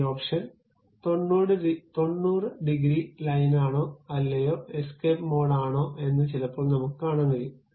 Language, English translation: Malayalam, We can see sometimes we can see this option also whether it is 90 degrees line or not, escape mode